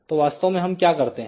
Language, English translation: Hindi, So, what we do actually